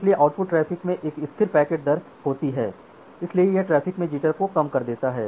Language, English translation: Hindi, So, output traffic has a constant packet rate so it reduces the jitter in the network